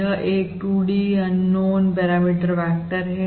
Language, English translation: Hindi, So basically, this is a 2 D, This is a 2 D, unknown parameter vector